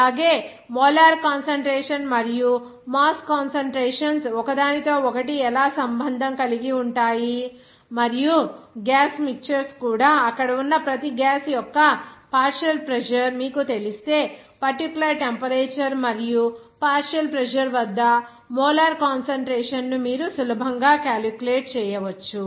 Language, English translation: Telugu, Also, how that molar concentration and mass concentrations are related to each other, and also for the gaseous mixtures if you know the partial pressure of each gaseous there, you can easily calculate the molar concentration at the particular temperature and partial pressure